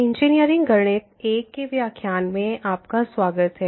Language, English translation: Hindi, Welcome to the lectures on Engineering Mathematics I